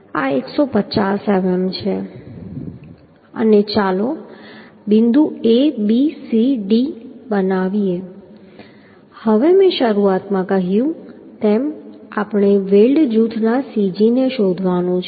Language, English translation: Gujarati, This is 150 mm and let us make point A B C and D now as I told at the beginning we have to find out the cg of the weld group right cg of the weld group we have to find out